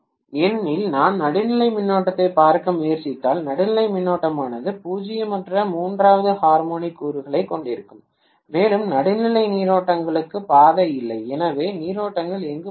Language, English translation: Tamil, Because if I try to look at the neutral current, the neutral current will have a non zero third harmonic component and there is no path for the neutral currents, so where will the currents flow